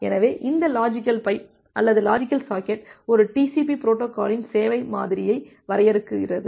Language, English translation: Tamil, So this logical pipe or logical socket that defines the service model of a TCP protocol